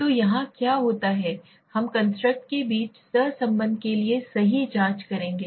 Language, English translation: Hindi, So here what happens we will check for the correlation between the constructs right